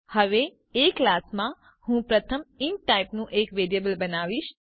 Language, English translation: Gujarati, Now inside class A, I will first create a variable of type int